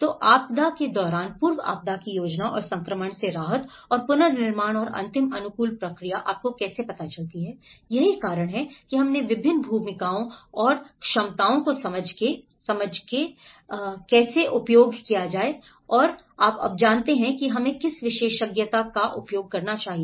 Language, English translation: Hindi, So the pre disaster planning during disaster and the transition relief and the reconstruction and the last how adaptation process you know, that is how we have understood the different roles and the capacities and how to use and when you know, what expertise we should use